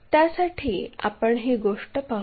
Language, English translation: Marathi, For that let us begin this story